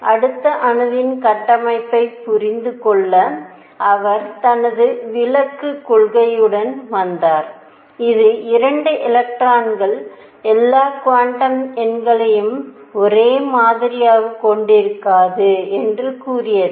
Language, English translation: Tamil, And then to understand the structure of atom next all he came with his exclusion principle, which said no 2 electrons will have all quantum numbers the same